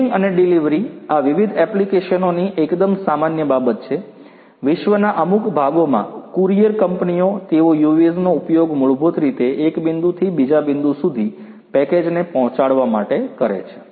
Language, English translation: Gujarati, Shipping and delivery this is quite common lot of different applications, you know courier companies in certain parts of the world, they are using the UAVs to basically deliver different packages from one point to another